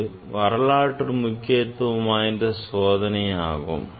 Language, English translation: Tamil, This is historically an important experiment